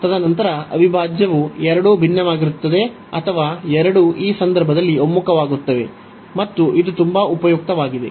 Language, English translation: Kannada, And then there integral will also either both will diverge or both will converge in this case, and this is very useful